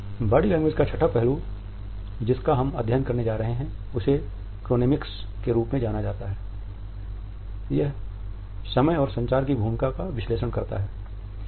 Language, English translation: Hindi, The sixth aspect which we shall is study is known as Chronemics, it analyzes the role of time and communication